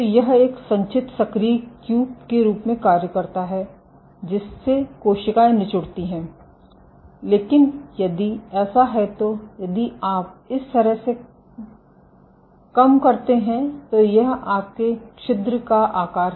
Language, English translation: Hindi, So, this acts as a cumulate active cube making the cells squeeze, but if so if you reduce so this is your pore size